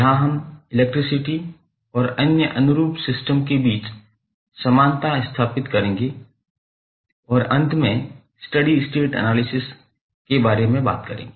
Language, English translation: Hindi, So, we will establish the analogy between the electricity and other analogous systems and finally talk about the state variable analysis